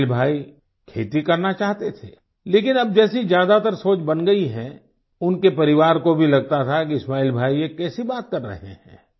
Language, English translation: Hindi, Ismail Bhai wanted to do farming, but, now, as is these general attitude towards farming, his family raised eyebrows on the thoughts of Ismail Bhai